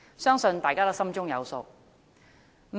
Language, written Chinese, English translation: Cantonese, 相信大家都心中有數。, I believe we all know the answer